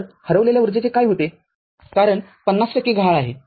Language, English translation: Marathi, So, what happens to the missing energy because 50 percent is missing